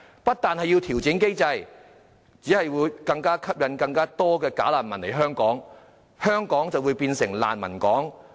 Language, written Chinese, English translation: Cantonese, 不調整機制，只會吸引更多"假難民"來港，香港便會變成"難民港"。, If it does not adjust the mechanism more bogus refugees will be attracted to come to Hong Kong which will then become a port of refugees